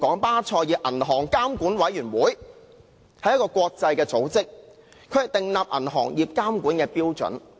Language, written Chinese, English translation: Cantonese, 巴塞爾銀行監管委員會是一個國際組織，負責訂立銀行業監管標準。, The Basel Committee on Banking Supervision BCBS which is an international body is responsible for setting standards on banking regulation